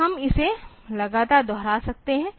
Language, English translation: Hindi, So, we can just go on repeating it